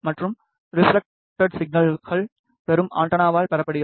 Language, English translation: Tamil, And the refleccted signal is received by the receiving antenna